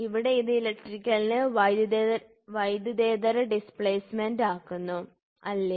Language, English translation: Malayalam, So, here it is electrical to non electrical displacement, right